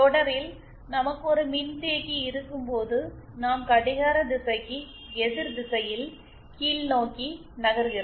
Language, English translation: Tamil, And when we have a capacitance in series, we move in anticlockwise downwards, direction downwards